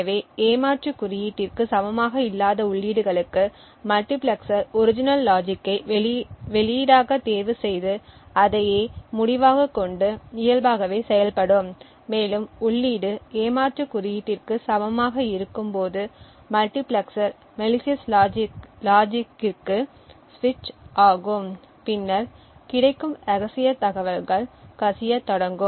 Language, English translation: Tamil, So for inputs which are not equal to that of the cheat code the multiplexer would chose the original logic as the output and the results would work as normal and when the input is equal to that of the cheat code the multiplexer would then switch to the malicious logic and then the secret information get can get leaked out